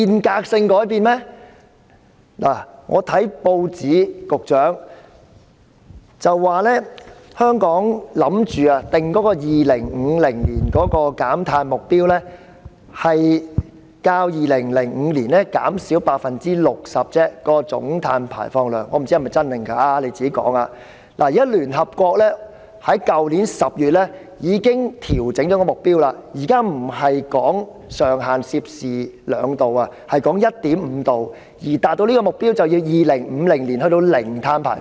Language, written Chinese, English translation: Cantonese, 局長，我從報章知悉，香港打算制訂邁向2050年的總碳排放量目標為較2005年減少 60% 而已——我不知真或假，請他回應——但聯合國在去年10月已經調整目標，現時上限不再是 2°C， 而是 1.5°C， 而要達到這個目標，便要在2050年達致零碳排放。, Secretary I have learnt from the newspapers that Hong Kong intends to set the target of reducing Hong Kongs total carbon emissions up to 2050 by only 60 % compared with the 2005 level―I do not know if it is true or not and will he please give a response to it―but the United Nations already adjusted its target in October last year and the upper limit now is no longer 2°C but 1.5°C . To achieve such a target carbon emissions will have to be reduced to net zero by 2025